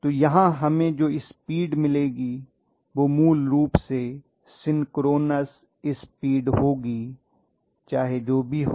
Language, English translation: Hindi, So you are going to have basically the speed to be at synchronous speed no matter what